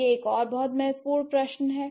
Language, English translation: Hindi, That is also very relevant question, right